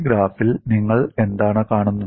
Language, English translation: Malayalam, And what do you see in this graph